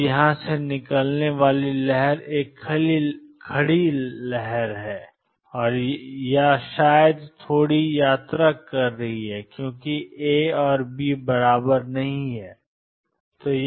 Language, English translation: Hindi, Now the wave out here is a standing wave or maybe slightly travelling because A and B are not equal